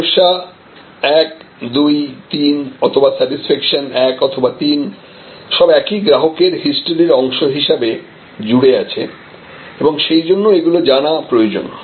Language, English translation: Bengali, And whether the problem 1, problem 2, problem 3 or satisfaction 1 or satisfaction 3, they are all connected it is part of the same customer history and therefore, it must be known